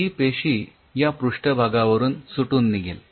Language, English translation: Marathi, this cell will get detached from this surface